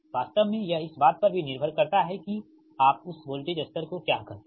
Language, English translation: Hindi, actually it depends also on the your, what you call that voltage level, right